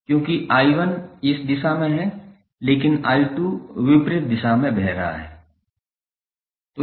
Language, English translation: Hindi, Because I 1 is in this direction but I 2 is flowing in opposite direction